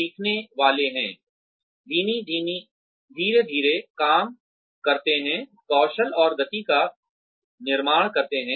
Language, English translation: Hindi, Have the learner, do the job gradually, building up skill and speed